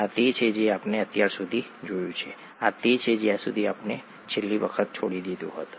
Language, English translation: Gujarati, This is what we have seen so far, this is where we left off last time